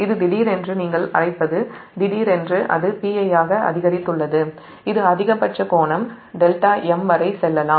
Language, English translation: Tamil, suddenly it has increased to p i and this is that maximum angle